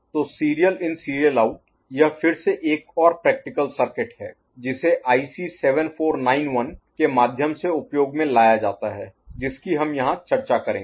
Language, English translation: Hindi, So, SISO this is again another practical circuit which is put into use through IC 7491 that we discuss here